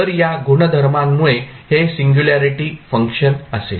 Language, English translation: Marathi, So, because of this property this will become a singularity function